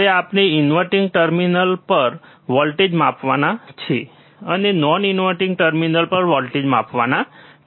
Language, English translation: Gujarati, Now inverting we have to measure voltage at inverting terminal and we have to measure voltage at non inverting terminal